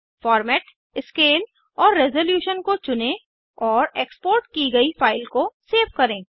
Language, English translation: Hindi, Choose the Format,Scale and Resolution and save the exported file